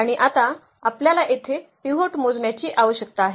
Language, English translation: Marathi, And what is now we need to count the pivots here